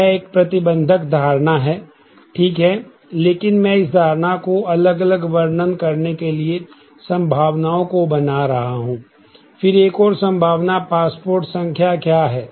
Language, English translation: Hindi, This is a restrictive assumption right, but I am just making that assumption to illustrate the different possibilities; then what is the other possibility passport number